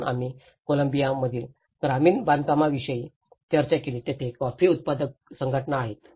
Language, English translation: Marathi, So, we did discussed about the rural constructions in Columbia where the coffee growers associations